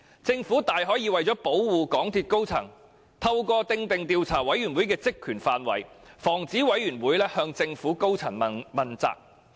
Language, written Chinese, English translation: Cantonese, 政府大可以為了保護港鐵公司高層，透過訂定該委員會的職權範圍，防止它向政府高層問責。, In prescribing the terms of reference for the Commission the Government can prevent the Commission from holding senior government officials accountable so as to protect MTRCLs senior officers